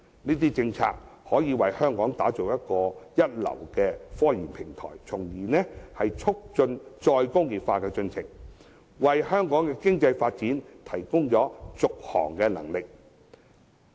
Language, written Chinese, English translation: Cantonese, 這些政策均可為香港打造一流的科研平台，從而促進再工業化的進程，為香港的經濟發展提供續航能力。, These policies will create a world - class scientific research platform in Hong Kong thereby promoting re - industrialization and providing an impetus for the continuous economic development in Hong Kong